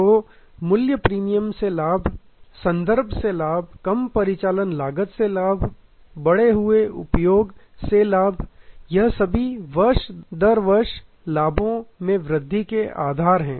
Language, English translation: Hindi, So, profit from price premium, profit from reference, profit from reduced operating cost, profit from increased usage, these are all that piles up on top of the based profit year after year